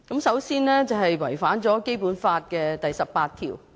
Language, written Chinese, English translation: Cantonese, 首先，是違反了《基本法》第十八條。, Firstly Article 18 of the Basic Law will be violated